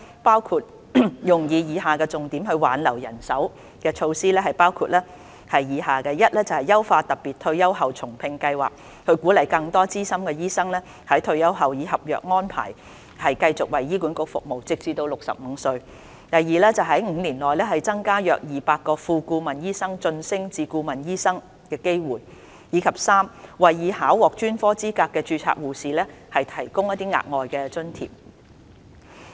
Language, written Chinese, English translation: Cantonese, 撥款亦用於以下重點挽留人手措施，包括： a 優化特別退休後重聘計劃，鼓勵更多資深醫生在退休後以合約安排繼續為醫管局服務，直至65歲； b 在5年內增加約200個副顧問醫生晉升至顧問醫生的機會；及 c 為已考獲專科資格的註冊護士提供額外津貼。, The funding will also be used to implement the following major staff retention initiatives including a enhancing the Special Retired and Rehire Scheme to encourage experienced doctors to continue their service on contract terms in HA after retirement until the age of 65; b creating opportunities for around 200 Associate Consultants to be promoted to Consultants within the next five years; and c providing additional allowance for registered nurses who have attained specialty qualifications . Promotion of primary health care is another important initiative